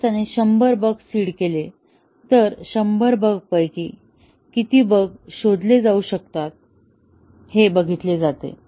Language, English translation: Marathi, If he seeded hundred bugs, out of the hundred bugs, how many of his seeded bugs could be discovered